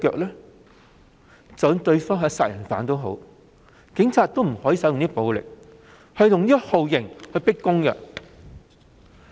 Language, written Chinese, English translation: Cantonese, 即使對方是殺人犯，警方也不可以使用暴力及酷刑進行迫供。, Even if the other party is a murderer the Police is still not supposed to make that person confess by force and torture